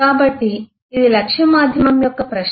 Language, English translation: Telugu, So that is the question of target medium